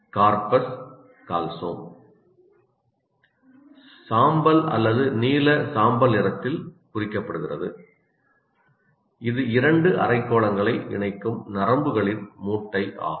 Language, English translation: Tamil, And then as you can see, Carpus callosum is what is indicated, this gray or bluish gray area, is the bundle of nerves that connects from the two parts to hemispheres